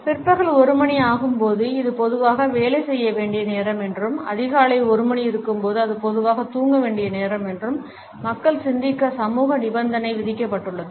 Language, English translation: Tamil, People have been socially conditioned to think that when it is1 PM it is normally the time to work and when it is 1 AM it is normally the time to sleep